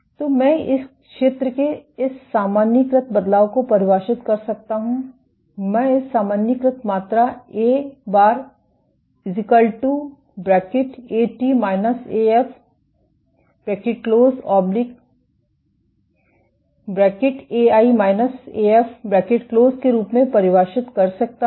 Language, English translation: Hindi, So, I can define this normalized change of area defined as, I can define this normalized quantity A bar as A i minus A f time t by A i minus A f